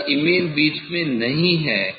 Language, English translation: Hindi, if image is not in middle